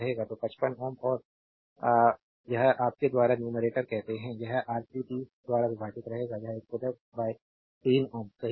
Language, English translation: Hindi, So, 55 ohm and this one youryour what you call numerator will remain same divided by R 3 30 it will be 110 by 3 ohm right